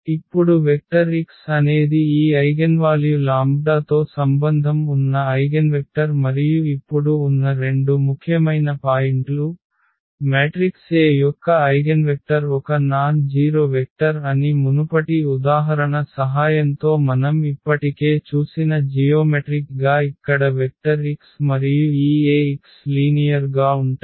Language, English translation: Telugu, So, now the vector x is the eigenvector associated with this eigenvalue lambda and the two important points now, the geometrically which we have already seen with the help of earlier example that an eigenvector of a matrix A is a nonzero vector, x in this R n such that the vectors here x and this Ax are parallel